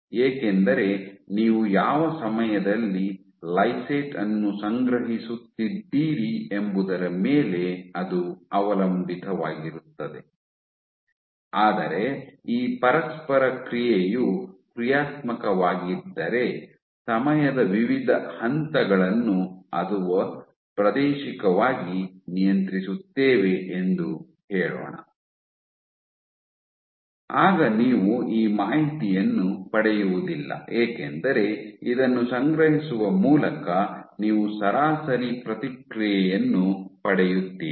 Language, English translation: Kannada, Because it depends at what time point you are collecting your lysate, but if this interaction is dynamic let us say different stages of time or spatially regulated then you will not get this information because by collecting this you are getting an average response